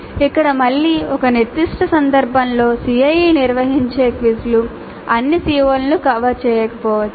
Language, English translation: Telugu, Here again in a specific instance the quizzes that are conducted during the CAE may not cover all the COs